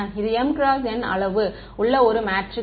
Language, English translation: Tamil, It is a matrix of size m cross n